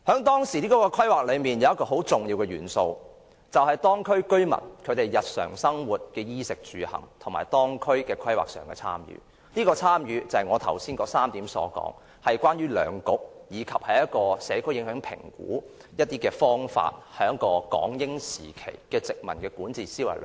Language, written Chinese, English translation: Cantonese, 當時的規劃有一個很重要的元素，便是當區居民對日常生活、衣食住行，以及當區規劃的參與，這種參與是我剛才提到的3點中，關於兩局及社區影響評估的方法，慢慢滲入了港英時期的殖民管治思維。, A very important planning element at that time was the participation of local residents in respect of their daily lives their basic necessities and the planning of the district . Such participation was one of the three points I just mentioned . The practices of two municipal councils and community impact assessments had slowly infiltrated into the concept of colonial governance during the British Hong Kong era